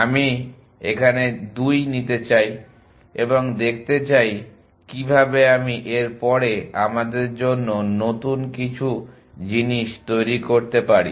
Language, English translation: Bengali, I may want to take 2 to us and try to see how I can generate new to us after that